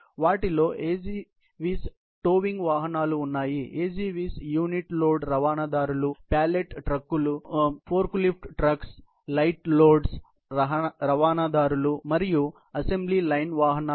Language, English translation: Telugu, They include AGVS towing vehicles; AGVS unit load transporters, pallet trucks, forklift trucks, light load transporters and assembly line vehicles